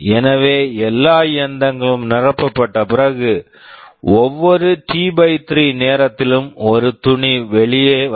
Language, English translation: Tamil, So, you see after all the machines are all filled up, every T/3 time one cloth will be coming out